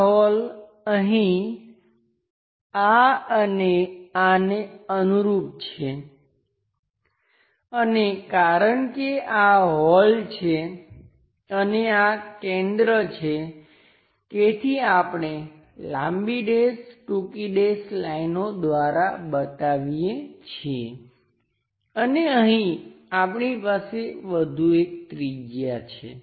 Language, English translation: Gujarati, This hole corresponds to that and this one here because this is a hole and having a center, so we show by long dash short dash lines and here we have one more radius